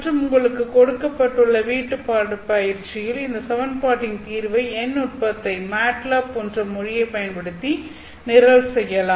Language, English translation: Tamil, And in the assignment problem, we will walk you through the solution of this equation using a numerical technique which you can program using the language such as MATLAB